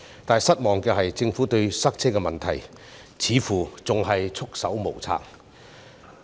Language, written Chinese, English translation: Cantonese, 但令人失望的是，政府對塞車的問題似乎仍然束手無策。, But disappointingly it seems that the Government is unable to deal with the traffic jam